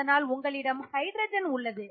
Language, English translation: Tamil, So you have a hydrogen